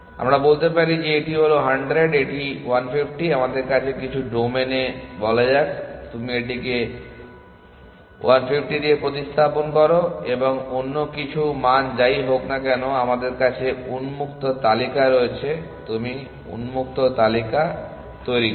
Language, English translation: Bengali, So, let us say this is 100 and this is 1 50 let us say in some domain you replace it with 1, 50 and some other value whatever because we have the open list you generate the open list